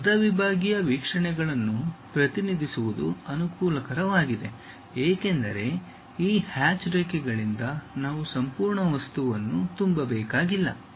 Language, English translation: Kannada, But, representing half sectional views are advantageous because we do not have to fill the entire object by this hatched lines